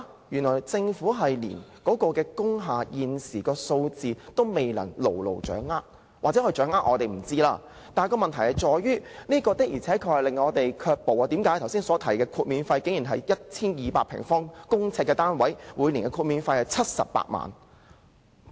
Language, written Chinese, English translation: Cantonese, 原來政府連工廈現時的數字都未能掌握——或許它掌握，只是我們不知道——但問題在於，這的確令申請人卻步，剛才提及的申請個案，涉及一個 1,200 平方公呎的單位，每年的豁免費是78萬元。, The Government does not even know the current number of industrial buildings or perhaps it knows just that we do not know But the problem is that this is very discouraging to the applicants . Take the application I just mentioned . The industrial building unit concerned is 1 200 sq ft in area and the annual waiver cost is 780,000